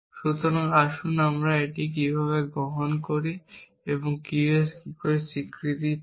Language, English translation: Bengali, So, let us take this and this and you get negation of Q